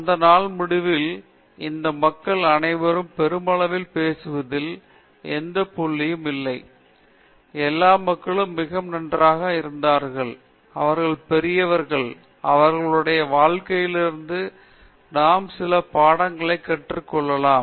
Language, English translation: Tamil, At the end of the day, there is no point in saying all these people were great, all these people were great okay; they are great; from their lives, can we learn some lessons